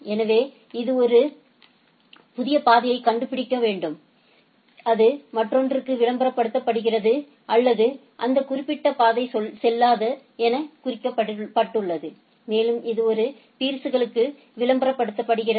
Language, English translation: Tamil, So, it has to find a new path and it is being advertised to the other or marked as invalid that particular path and it is advertised to the other peers right